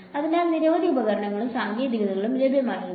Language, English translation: Malayalam, So, many tools and techniques were available